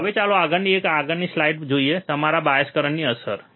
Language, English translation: Gujarati, Now, let us go to the next one next slide, which is your effect of bias current